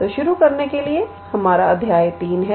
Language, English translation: Hindi, So, to start with this is our sorry chapter 3